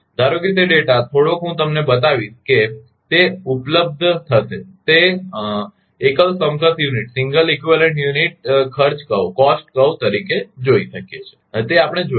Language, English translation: Gujarati, Suppose that is that that data little bit I will show you that it will be available, can be viewed as the cost curve of a single equivalent unit that we will see